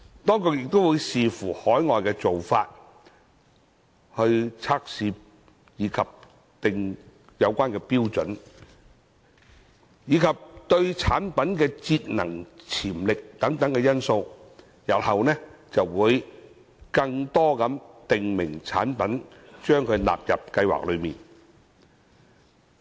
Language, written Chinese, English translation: Cantonese, 當局亦會視乎海外做法、測試標準，以及產品的節能潛力等因素，日後將更多訂明產品納入計劃內。, The Administration will take into account factors including overseas practices testing standards and energy saving potential of products in considering the inclusion of additional types of prescribed products into MEELS in the future